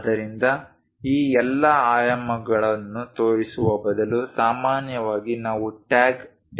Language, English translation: Kannada, So, instead of showing all these dimensions which becomes bit clumsy, usually we go with a tag table